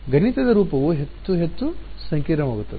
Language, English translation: Kannada, The mathematical form will become more and more complicated ok